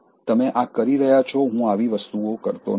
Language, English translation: Gujarati, So, you are doing this, I don’t do such things